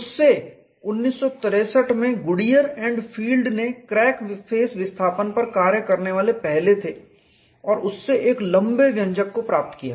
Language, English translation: Hindi, From that Goodier and Field in 1963 where the first to work out the crack face displacements, and from which obtained a long expression